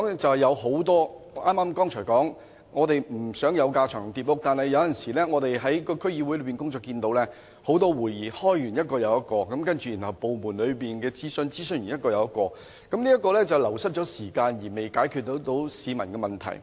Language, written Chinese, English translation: Cantonese, 正如我剛才所說，我們不想有架床疊屋的情況，但我們現時看到區議會經常召開一個又一個的會議，然後在部門內進行一次又一次的諮詢，這會令時間流失，卻又未能解決市民的問題。, As I said just now we do not want any overlapped structure but very often we see that despite the conduct of meetings after meetings in DCs and also a lot of consultations within the Government losing a lot of time in this course the problems of the people cannot be solved